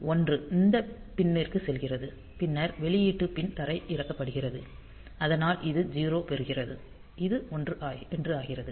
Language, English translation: Tamil, So, 1 goes to the pin then we output pin is grounded because this gets a 0; so, this is 1